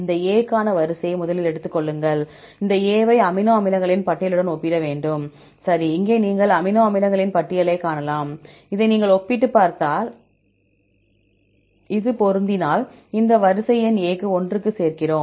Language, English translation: Tamil, Take the sequence first for this A; we have to compare this A with the list of amino acids, okay here you can see the list of amino acids; if you compare this and this if it matches, then we add in this array number of A equal to one